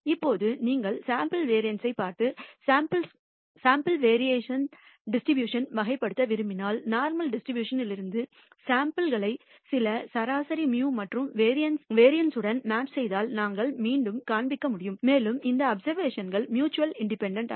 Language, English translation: Tamil, Now, if you look at the sample variance and want to characterize the distribution of the sample variance, we can show again if you draw samples from the normal distribution with some mean mu and variance sigma squared and these observations I am going to assume are mutually independent